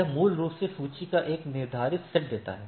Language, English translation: Hindi, So, it basically gives a ordered set of list